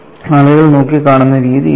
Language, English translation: Malayalam, So, this is the way people have looked at it